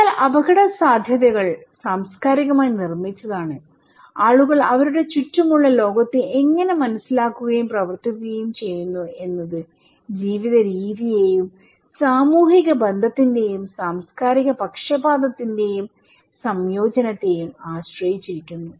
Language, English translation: Malayalam, But so risk is culturally constructed, how people perceive and act upon the world around them depends on the way of life and way of life; a combination of social relation and cultural bias, thank you very much